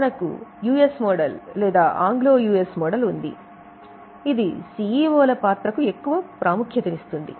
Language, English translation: Telugu, We have a US model or Anglo US model which emphasizes on CEO's role, lot of perks and salaries to CEO